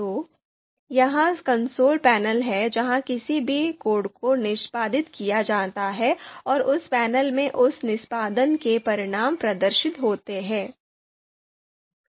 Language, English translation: Hindi, So this is the console panel where the any code any line is executed and the results of that execution is displayed in this panel